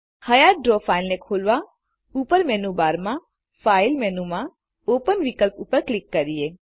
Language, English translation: Gujarati, To open an existing Draw file, click on the File menu in the menu bar at the top and then click on the Open option